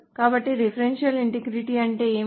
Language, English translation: Telugu, So what does referential integrity mean